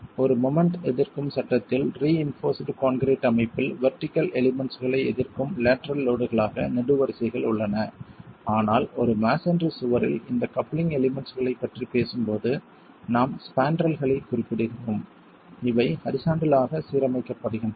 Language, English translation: Tamil, In a a moment resisting frame in a reinforced concrete structure, you have columns as the lateral load resisting vertical elements but in a masonry wall when we are talking of these coupling elements we are referring to the spandrels